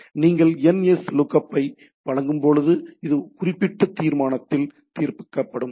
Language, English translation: Tamil, So, when you give nslookup, then it is resolved into the particular particular resolution